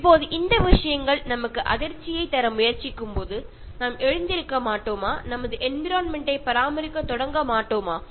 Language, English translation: Tamil, Now when these things are trying to give us the jolt, won’t we wake up and should we not start caring for our environment